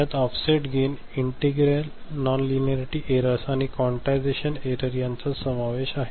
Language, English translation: Marathi, It includes offset gain, integral nonlinearity errors, and also quantization error